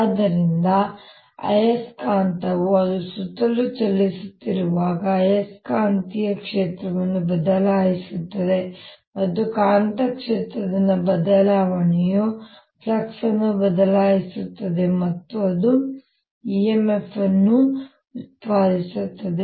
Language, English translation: Kannada, so as the magnet is moving around, its changing the magnetic field and the change in the magnetic field changes the flux and that generates an e m f